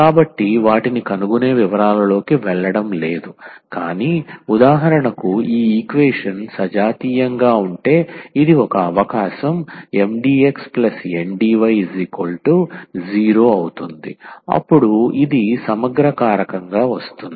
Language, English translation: Telugu, So, we are not going into the details of finding them, but for instance this is one of the possibilities that if this equation is homogeneous and this M x plus N y is not equal to 0, then this comes to be an integrating factor